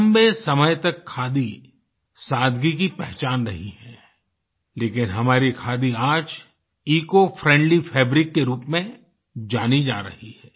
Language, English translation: Hindi, Khadi has remained a symbol of simplicity over a long period of time but now our khadi is getting known as an eco friendly fabric